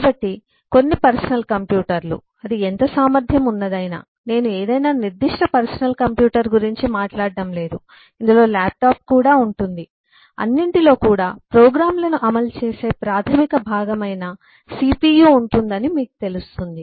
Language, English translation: Telugu, a personal computer, of whatever capacity you talk of am not talking about any specific personal computer even this will include laptop and so on will comprise of a cpu, which is a basic component which eh executes programs